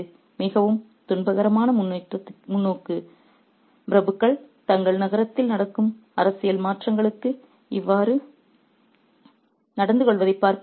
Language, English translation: Tamil, So, it is a very, very tragic perspective in order to, it's very tragic to see the aristocrats react in such a manner to the political shifts that's happening in their city